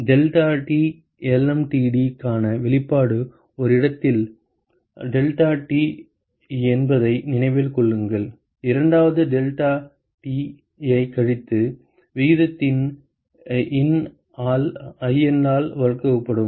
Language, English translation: Tamil, Remember the expression for deltaT lmtd deltaT lmtd is deltaT at one location minus deltaT at the second location divided by ln of the ratio